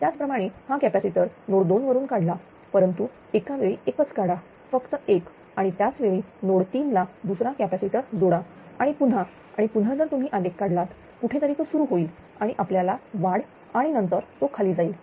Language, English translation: Marathi, Similarly remove this capacitor from node 2 remove this just one at a time just one at a time connect another capacitor at node 3, and again you again again if you ah plot the graph then again somewhere it will start and we gain it may go further down right